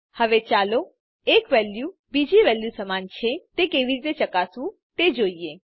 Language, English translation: Gujarati, Now let us see how to check if a value is equal to another